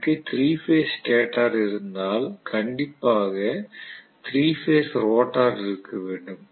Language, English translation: Tamil, So if I have 3 phase stator I have to have a 3 phase rotor